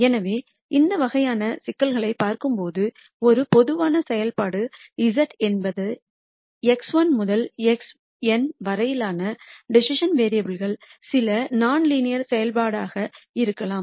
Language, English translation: Tamil, So, when you look at these types of problems, a general function z could be some non linear function of decision variables x 1 to x n